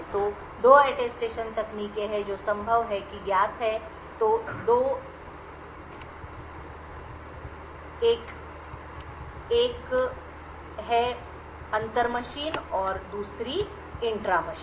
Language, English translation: Hindi, So, there are 2 Attestation techniques which are possible one is known is the inter machine and the intra machine